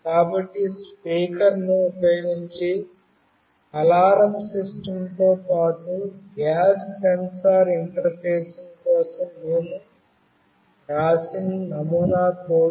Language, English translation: Telugu, So, this is a sample code that we have written for interfacing gas sensor along with the alarm system using the speaker